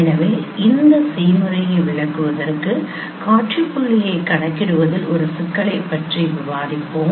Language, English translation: Tamil, So, just illustrate this process we will be discussing a problem for computing this same point